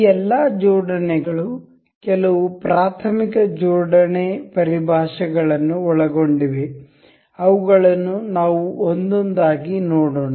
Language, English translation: Kannada, All these assembly includes some very elementary assembly terminologies that we will go through one by one